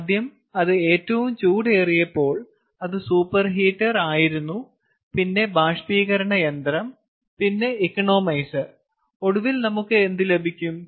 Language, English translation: Malayalam, first it, uh, when it is hottest it was the super heater than the evaporator, than the economizer